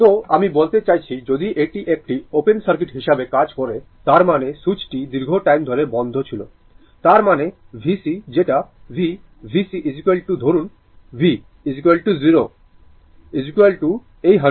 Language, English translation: Bengali, So, from the I mean if it acts as a open circuit; that means, the switch was closed for a long time; that means, your v c that is v, v c is equal to say v, right is equal to 0 minus sorry 0 minus is equal to this 100 volt right